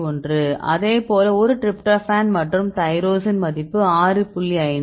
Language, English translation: Tamil, 1, likewise a tryptophan and tyrosine 6